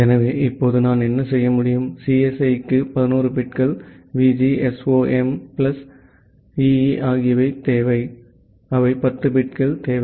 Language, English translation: Tamil, And what we have seen that CSE requires 11 bits, VGSOM requires 9 bits, and EE requires 9 bit for their host address